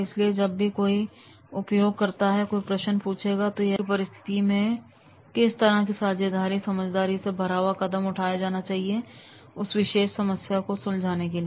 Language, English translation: Hindi, So when the user user will ask any question, he will be able to tell that if this type of the situation occurs, then this is the wise step to take to solve that particular problem and this was the one example